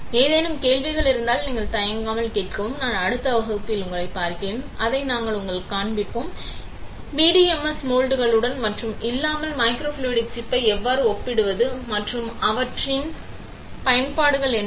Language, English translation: Tamil, If have any questions feel free to ask; I will see you in the next class, where we will be actually showing it to you, how to compare microfluidic chip with and without PDMS moulding and what are their applications right